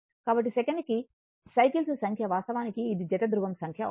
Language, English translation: Telugu, So, number of cycles per second actually it will be number of pair of poles, right